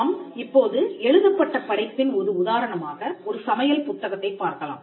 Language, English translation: Tamil, Now, we can look at an instance of a written work for instance a cookbook